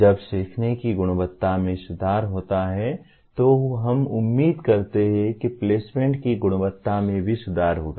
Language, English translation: Hindi, When quality of learning is improved we expect the quality of placements will also improve